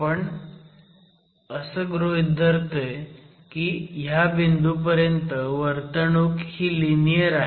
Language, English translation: Marathi, We are considering that the behavior is linear up to this point